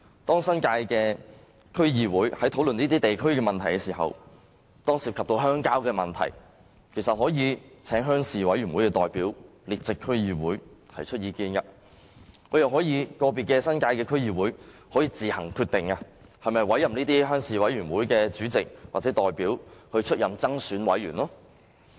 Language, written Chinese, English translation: Cantonese, 當新界的區議會在討論這些地區的問題時，遇到涉及鄉郊的事宜，其實可以請鄉事委員會的代表列席區議會會議，提出意見，又或由個別新界的區議會自行決定是否委任這些鄉事委員會的主席或代表出任增選委員。, Whenever DCs in the New Territories encounter matters involving the rural areas in a discussion of local issues they can invite representatives of the rural committees to attend the meetings as observers and voice their views or leave it up to individual DCs in the New Territories to decide whether or not to appoint the chairmen or representatives of these rural committees as co - opted members